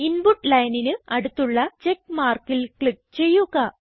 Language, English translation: Malayalam, Now click on the check mark next to the Input line